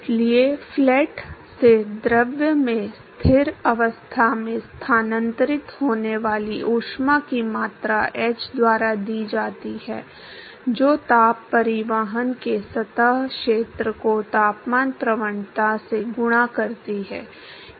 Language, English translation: Hindi, So, therefore, the amount of heat that is transferred from the plate to the fluid at steady state is given by h into whatever is the surface area of heat transport multiplied by the temperature gradient